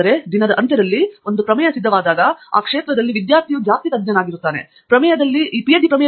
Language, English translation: Kannada, But at the end of the day, once the thesis is ready, the student is the expert in that topic, in the thesis, that’s what is expected